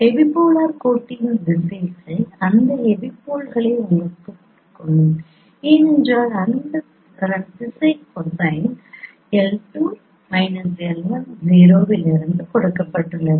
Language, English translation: Tamil, The directions itself, direction of epipolar line itself will give you that epipoles because that is what its direction cosine is given in this form L2 minus L1 and that is what is the 0